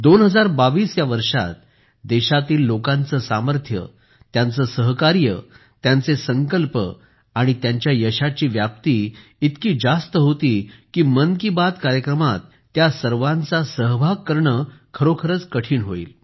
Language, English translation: Marathi, In 2022, the strength of the people of the country, their cooperation, their resolve, their expansion of success was of such magnitude that it would be difficult to include all of those in 'Mann Ki Baat'